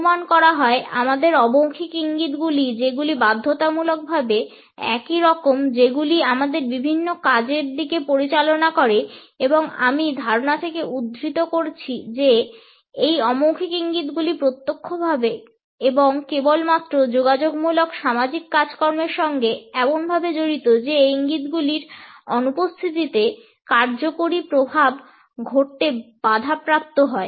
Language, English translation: Bengali, Assuming that our nonverbal cues lead to a variety of functions, which are compulsorily isomorphic and I quote suggesting that “nonverbal cues are tied directly and exclusively to communicative social functions, such that the absence of such cues precludes functional effects from occurring”